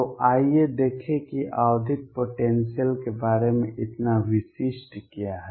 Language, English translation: Hindi, So, let us see what is, so specific about periodic potentials